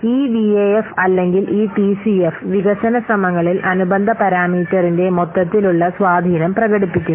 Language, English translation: Malayalam, So this VIF or this T CF, it expresses the overall impact of the corresponding parameter on the development effort